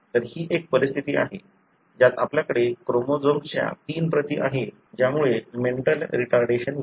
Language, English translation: Marathi, So, this is one of the conditions, wherein you have three copies of the chromosomes resulting in a mental retardation